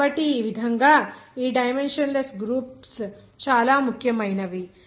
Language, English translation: Telugu, So in this way, these dimensionless groups are very important